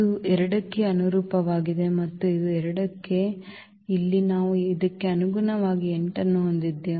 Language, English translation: Kannada, So, this is corresponding to this 2 this is also corresponding to 2 and here we have this corresponding to this 8